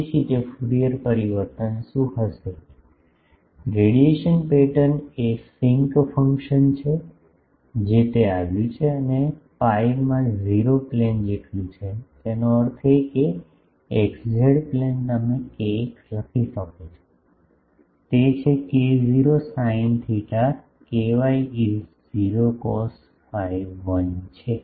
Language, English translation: Gujarati, So, Fourier transform of that will be what; radiation pattern is sinc function that is what it came and in the pi is equal to 0 plane; that means, x z plane you can write kx is k not sin theta ky is 0 cos phi is 1